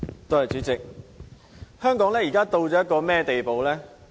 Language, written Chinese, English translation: Cantonese, 代理主席，香港如今到了一個甚麼地步呢？, Deputy President what kind of a situation do we find in Hong Kong nowadays?